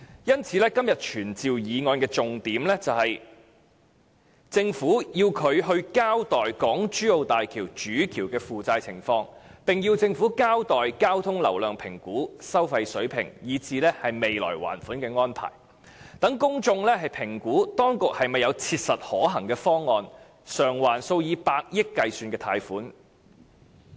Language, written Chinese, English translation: Cantonese, 因此，今天傳召議案的重點是要求政府交代港珠澳大橋主橋的負債情況，並要求政府交代交通流量評估及收費水平，以至未來的還款安排，讓公眾評估當局是否有切實可行的方案償還數以百億元計的貸款。, The point of todays summoning motion is to require the Government to give an account of the debt situation of the Main Bridge of HZMB the traffic flow volume estimate the toll levels and the projected plan of loan repayment so that the public will be able to assess whether the authority concerned has a practicable and viable plan to repay the multi - billion loans